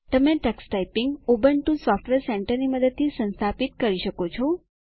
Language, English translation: Gujarati, You can install Tux Typing using the Ubuntu Software Centre